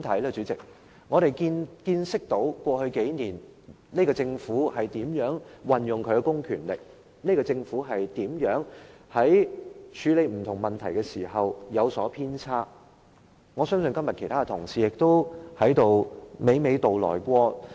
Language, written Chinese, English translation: Cantonese, 過去數年，我們見識到這個政府如何運用其公權力，在處理不同問題時如何有所偏差，我相信這些問題，其他同事今天亦已娓娓道來。, Over the past few years we have seen how this Government has used public power and how it has handled various issues in a biased manner . I believe some Members have already given an apt description today